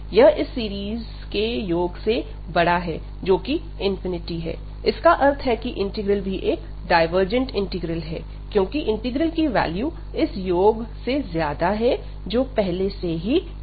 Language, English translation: Hindi, This is greater than this sum of the series, which is infinity, so that means this integral is a divergent integral, because the value of this interval will b larger than the value of the sum, which is coming already to infinity